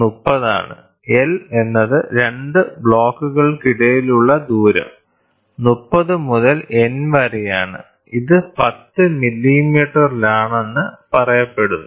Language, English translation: Malayalam, L is the distance between the 2 blocks is 30 into n which is said to be in 10 millimeters it is this much